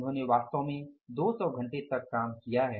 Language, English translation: Hindi, They have actually worked for the 200 hours